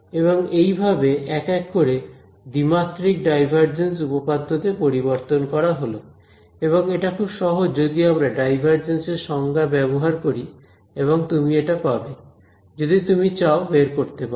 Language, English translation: Bengali, So, it is a one to one mapping of this divergence theorem to 2D ok, and this is again very simple if we just use the definition of divergence and all you will get this, if you wanted derive it ok